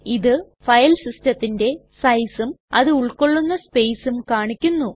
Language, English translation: Malayalam, Here it shows the size of the Filesystem, and the space is used